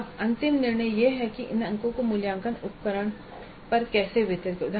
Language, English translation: Hindi, Now the final decision is how are these marks to be distributed over the assessment instruments